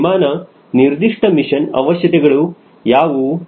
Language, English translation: Kannada, what are the mission requirements